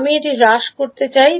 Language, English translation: Bengali, I want to reduce this